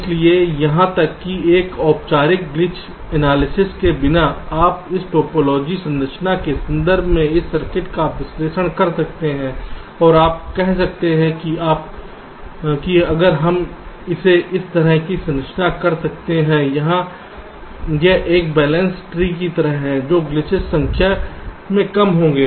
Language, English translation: Hindi, so even without a formal glitch analysis, you can analyze this circuit in terms of this topology, the structure, and you can say that if we can structure it in a way where it is like a balance tree, glitches will be less in number